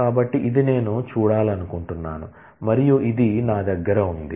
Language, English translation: Telugu, So, this is what I want visible and this is what I have